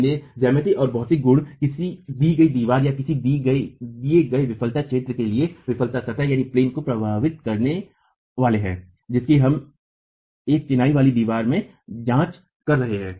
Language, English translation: Hindi, So, geometry and material properties are going to affect what the failure plane is for a given wall or a given failure zone that we are examining in a masonry wall itself